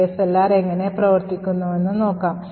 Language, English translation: Malayalam, We will now see how ASLR works